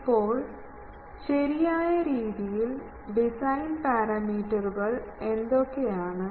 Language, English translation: Malayalam, Now with proper, so what are the design parameters